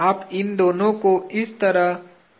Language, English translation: Hindi, You can pin these two like this